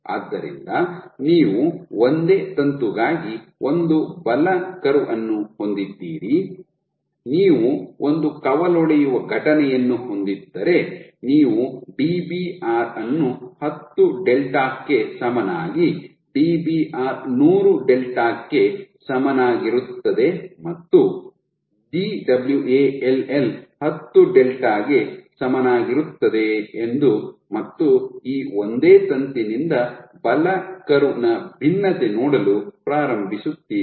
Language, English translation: Kannada, So, you have a force curve for a single starting from a single filament, if you have one branching event you will begin to see for Dbr equal to 10 delta, Dbr equal to 100 delta and Dwall equal to 10 delta you will get a divergence of the force velocity curve from this single filament case